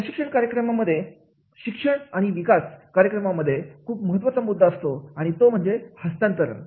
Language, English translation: Marathi, In the training program, education and development program, the most important point is that is a transference